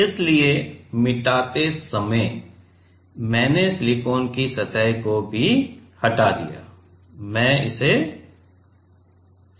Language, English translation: Hindi, So, while erasing I just removed the silicon surface also, I am just redrawing it ok